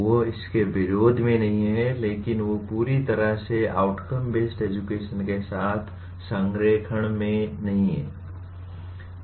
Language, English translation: Hindi, They are not in opposition to this but they are not perfectly in alignment with outcome based education